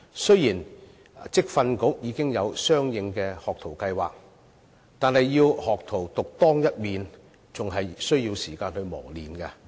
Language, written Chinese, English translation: Cantonese, 雖然職業訓練局已經有相應的學徒計劃，但要學徒獨當一面，還需要時間磨練。, Although the Vocational Training Council has in place relevant apprenticeship schemes it still takes time for the apprentices to be trained to accumulate the competence to cope with their jobs independently